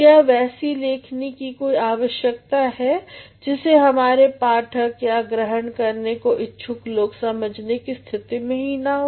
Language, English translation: Hindi, Is there any need of writing when our readers or when our receivers are not in a position to understand